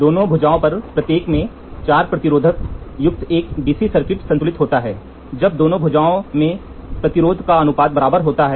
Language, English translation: Hindi, A DC circuit comprising of 4 resistor each on both arms is balanced when the ratio of the resistance in the both arms are equal